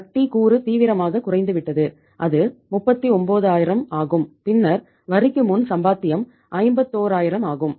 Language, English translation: Tamil, Interest component has gone down seriously that is 39000 and then earning before tax is that is 51000